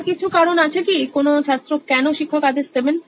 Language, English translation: Bengali, Is there anything else why student why teacher would mandate